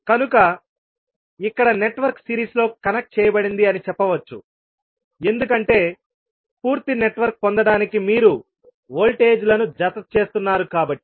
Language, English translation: Telugu, So, here we can say that the network is connected in series because you are adding up the voltages to get the complete network